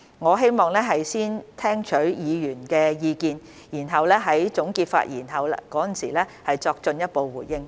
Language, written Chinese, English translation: Cantonese, 我希望先聽取議員的意見，然後在總結發言時作進一步回應。, I would like to listen to Members views before giving a further response in my concluding remarks